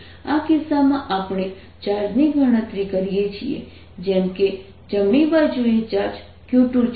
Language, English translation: Gujarati, in this case we calculate the charge as if there3 is a charge q two on the right hand side